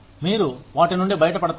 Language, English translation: Telugu, What you get out of them